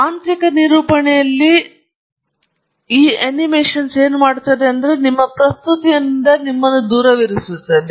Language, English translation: Kannada, In a technical presentation, it distracts from the presentation